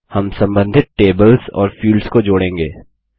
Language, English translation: Hindi, We will connect the related tables and fields